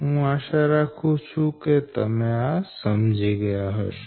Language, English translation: Gujarati, hope this you have understood